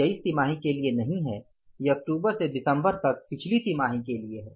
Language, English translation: Hindi, This is for the previous quarter from October to December